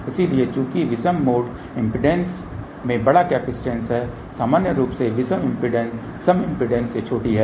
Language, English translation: Hindi, So, since odd mode impedance has larger capacitance odd mode impedance in general is smaller than the even mode impedance